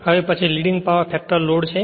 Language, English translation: Gujarati, So, next is Leading Power Factor Load right